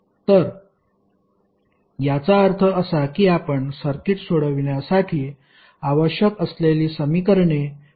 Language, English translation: Marathi, So it means that you can reduce the number of equations required to solve the circuit